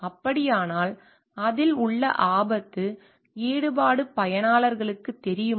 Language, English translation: Tamil, So, then, do users know the risk involvement in it